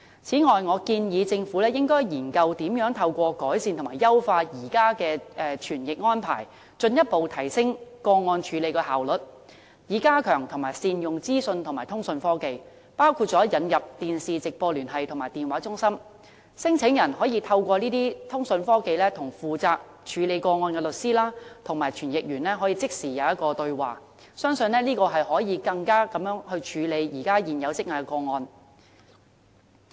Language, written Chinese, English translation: Cantonese, 此外，我建議政府研究，如何透過改善和優化現有的傳譯安排，進一步提升個案的處理效率，以及加強和善用資訊和通訊科技，包括引入電視直播聯繫和電話中心，讓聲請人透過這些通訊科技與負責個案的律師和傳譯人即時對話，相信可以加快處理現時積壓的個案。, Furthermore I advise the Government to consider improving and enhancing the existing interpretation service to further raise the efficiency of the screening process . On top of this the use of information and communication technology including the introduction of live television link and call centres should be strengthened and capitalized on so as to allow instant communication between claimants and case lawyers and interpreters with a view to speeding up the processing of outstanding claims